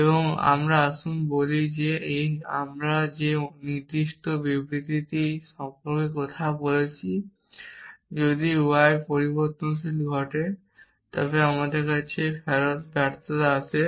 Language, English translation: Bengali, So, let us say how that particular statement that we are talking about if variable occurs y then return failure comes to our